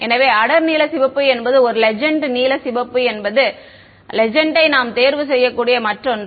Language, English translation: Tamil, So, dark blue red is one legend blue red is another legend we can choose ok